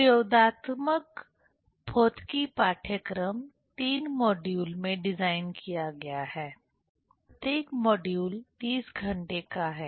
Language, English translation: Hindi, The experimental physics course is designed in 3 modules; each module is of 30 hours